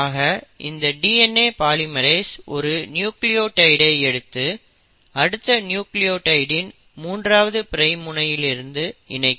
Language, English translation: Tamil, So these DNA polymerases will bring in 1 nucleotide and attach it to the next nucleotide in the 3 prime end